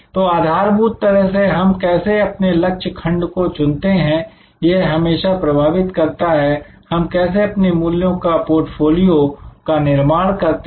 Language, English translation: Hindi, So, fundamentally therefore, how do we select target segments will anyway influence, how we will create our portfolio of values